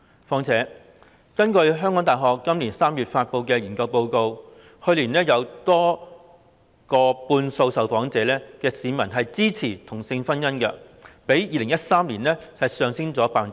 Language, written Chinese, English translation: Cantonese, 再者，根據香港大學今年3月發布的研究報告，去年有逾半數受訪市民支持同性婚姻，較2013年上升了 10%。, Moreover according to a research report published by the University of Hong Kong in March this year over 50 % of the respondents surveyed last year expressed support for same - sex marriage representing an increase of 10 % over that of 2013